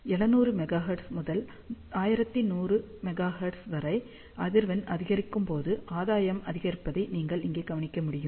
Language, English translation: Tamil, So, same thing you can notice over here, as frequency increases from 700 megahertz to 1100 megahertz, gain increases